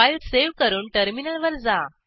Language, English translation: Marathi, Save the file and go to the terminal